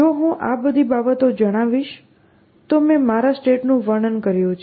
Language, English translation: Gujarati, If I state all these things, I have said I have described my state